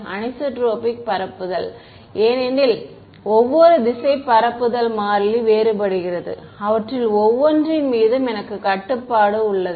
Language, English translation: Tamil, Anisotropic propagation because propagation constant is different in every direction and; I have control over each one of those